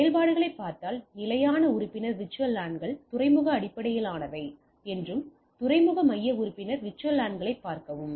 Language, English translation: Tamil, And if you look at the operations static membership VLANs are called port based and port centric member see VLANs right